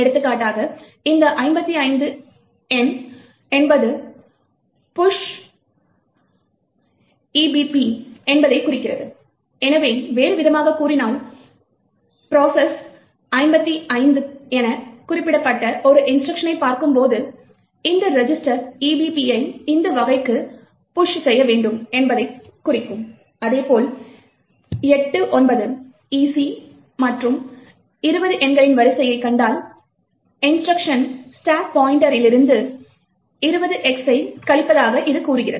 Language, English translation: Tamil, So, for example this number 55 implies push percentage EBP, so in another words, when the processor sees an instruction encoded as 55, it would imply that it has to push this register EBP into this type, similarly, if it sees the sequence of numbers 89, EC and 20 present in the instruction it would imply that the instruction is subtract 20X from the stack pointer